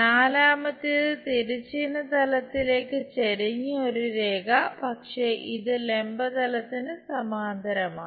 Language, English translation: Malayalam, And the fourth one; a line inclined to horizontal plane, but it is parallel to vertical plane